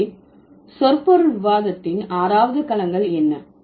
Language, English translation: Tamil, So, what are the six domains of semantics discussion we would have